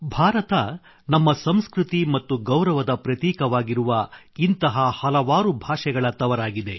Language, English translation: Kannada, India is a land of many languages, which symbolizes our culture and pride